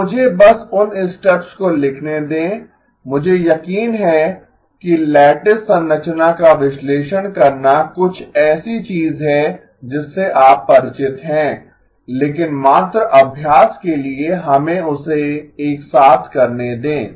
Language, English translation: Hindi, So let me just write down the steps I am sure analyzing a lattice structure is something that you are familiar with but just as practice let us do that together